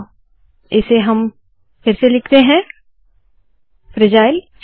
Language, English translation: Hindi, So lets put this back – fragile